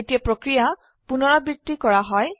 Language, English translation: Assamese, This process is repeated